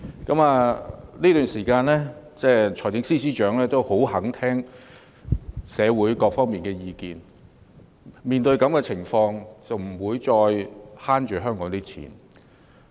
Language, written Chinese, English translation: Cantonese, 在這段時間裏，財政司司長亦十分願意聆聽社會各界的意見，面對現時的情況，他不再節省香港的公帑。, These days the Financial Secretary is also eager to listen to the opinions of all sectors of society . He will no longer keep a tight rein on the public money of Hong Kong under the current circumstances